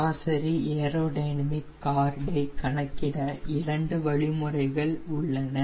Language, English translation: Tamil, ok, in order to calculate mean aerodynamic chord, there are two ways